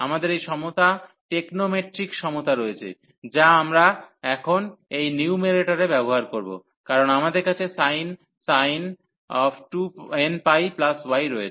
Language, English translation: Bengali, So, we have this equality the technomatric equality, which we will use here now in this numerator, because we have sin n pi plus y